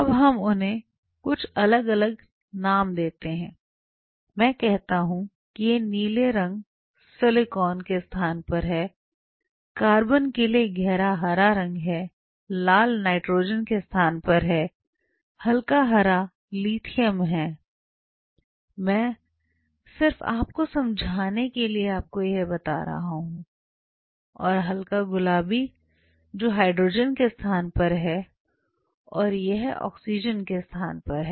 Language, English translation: Hindi, Now let us give them some different, different names say I say these blue stands for silicon, dark green stands for carbon, red stands for say nitrogen, light green this say stands for, so the surface has lithium I am just for your understanding sake I am telling you and lighter pink which may stands for say hydrogen and this one stands oxygen